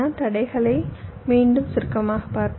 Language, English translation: Tamil, let us summarize the constraints once more